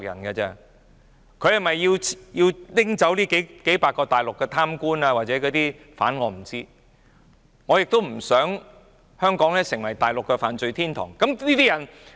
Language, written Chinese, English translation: Cantonese, 他是否要拘捕這數百名大陸貪官或疑犯，我不知道，但我亦不想香港成為大陸的犯罪天堂。, I have no idea whether he wants to arrest those few hundred corrupt officials or suspects but I do not want Hong Kong to be a haven for Mainland criminals either